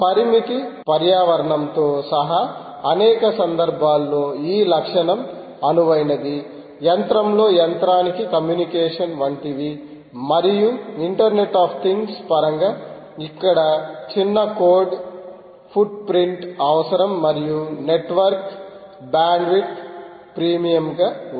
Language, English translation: Telugu, these characteristic may be ideal for in many situations, including constrain environment, such as communication in machine to machine and internet of things, context where a small code footprint is required and or network bandwidth is at a premium